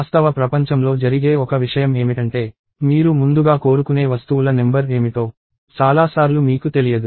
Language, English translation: Telugu, So, one thing that happens in real world is that, many times you do not know what is the number of things that you want ahead of time